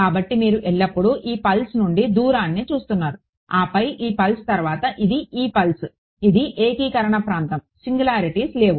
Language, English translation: Telugu, So, you are always looking at the distance from this pulse then this pulse then this then this pulse, this is the region of integration no singularities